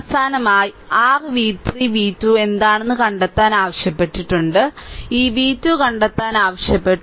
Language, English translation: Malayalam, Finally you have to find out that what is your v 3 v 2 has been asked to find out right these v 2 has been asked to find out your find out